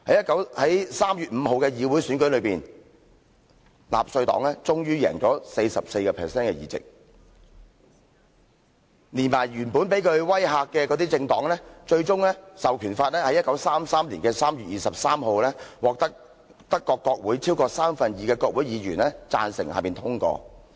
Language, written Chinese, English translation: Cantonese, 在3月5日的議會選舉上，納粹黨終於贏得 44% 的議席，連同原本被他威嚇的政黨，最終《授權法》在1933年3月23日獲得德國國會超過三分之二的國會議員贊成通過。, In the parliamentary election on 5 March the Nazi Party won 44 % of all seats in the end . An Enabling Act was passed on 23 March 1933 at long last with the support of over two thirds of all members in the German Parliament including those parties which had been intimidated by him before